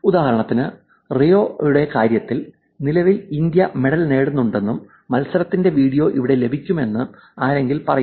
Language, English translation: Malayalam, For example, currently in terms of Rio somebody says that currently India has won medal and here is the video of the match